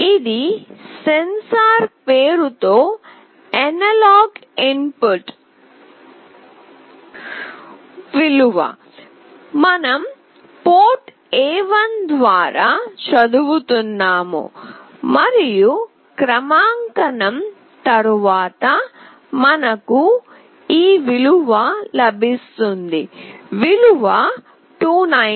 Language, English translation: Telugu, This is the analog input value in the name of sensor, we are reading through port A1 and this is after calibration, we get a value like this … value is 297